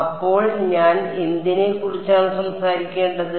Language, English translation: Malayalam, So, what do I need to talk about